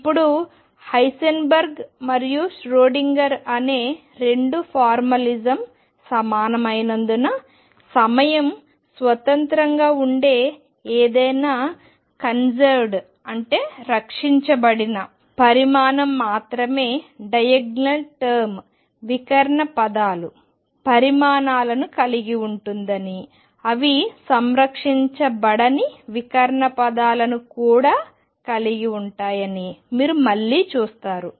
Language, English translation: Telugu, Now, again you will see that since the two formalism Heisenberg and Schrodinger are equivalent any conserved quantity that is time independent is going to have only diagonal terms quantities which are not conserved are going to have off diagonal terms also